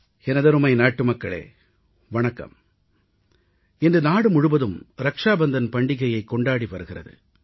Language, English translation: Tamil, Today, the entire country is celebrating Rakshabandhan